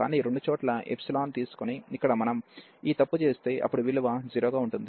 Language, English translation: Telugu, But, if we do this mistake here by taking the epsilon at both the places, then the value is coming to be 0